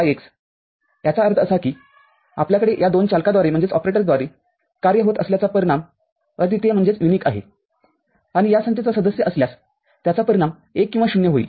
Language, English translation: Marathi, That means if you are having an operation with this two operators the result is unique and is a member of this set that is result will be 1 or 0